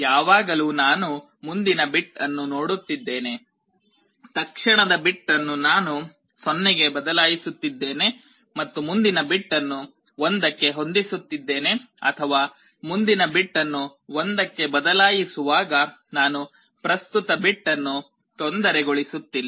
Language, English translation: Kannada, Always I am looking at the next bit, the immediate bit I am changing it back to 0 and setting the next bit to 1, or I am not disturbing the present bit just changing the next bit to 1